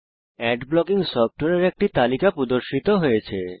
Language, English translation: Bengali, A list of Ad blocking software is displayed